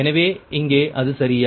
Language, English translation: Tamil, it is same here, right